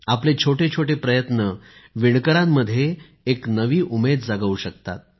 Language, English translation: Marathi, Even small efforts on your part will give rise to a new hope in weavers